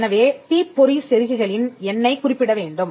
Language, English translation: Tamil, So, the spark plugs the number has to be referred